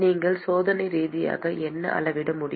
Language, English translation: Tamil, What is it that you can measure experimentally